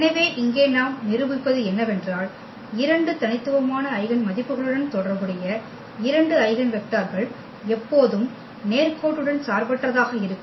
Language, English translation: Tamil, So, what we will prove here that two eigenvectors corresponding to two distinct eigenvalues are always linearly independent